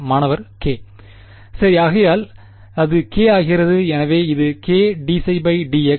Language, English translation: Tamil, Right so that becomes the k right, so this becomes k d psi by d x